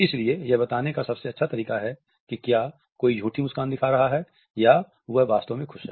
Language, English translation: Hindi, So, this is the best way to tell if someone is actually faking a smile or if they are genuinely happy